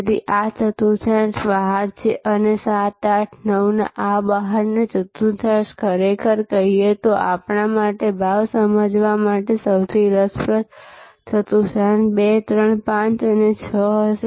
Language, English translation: Gujarati, So, this quadrant is out and a these 7, 8, 9 these quadrants of out, really speaking the most interesting quadrants for us to understand pricing will be this 2, 3, 5 and 6